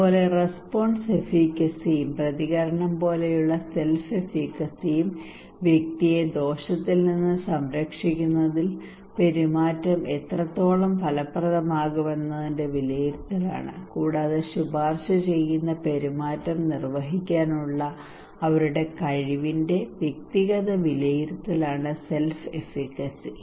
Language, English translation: Malayalam, Similarly, response efficacy and self efficacy like response is the evaluation of how effective the behaviour will be in protecting the individual from harm and the self efficacy is the individual evaluation of their capacity to perform the recommended behaviour